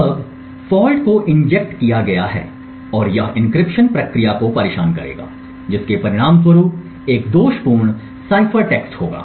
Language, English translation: Hindi, Now the fault is injected and it would disturb the encryption process resulting in a faulty cipher text